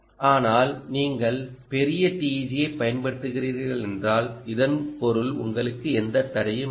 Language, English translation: Tamil, but if you are using large teg, which means area is of no constraint to you